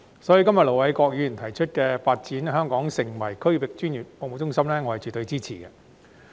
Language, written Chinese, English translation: Cantonese, 所以，今天盧偉國議員提出"發展香港成為區域專業服務中心"的議案，我絕對支持。, Hence the motion moved by Ir Dr LO Wai - kwok today on Developing Hong Kong into a regional professional services hub will definitely have my support